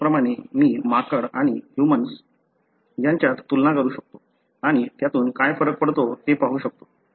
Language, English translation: Marathi, Likewise, I can compare between a monkey and the human and see what difference that makes